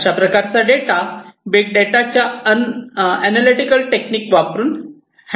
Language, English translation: Marathi, And these will have to be handled using these different analytical techniques for big data, data collection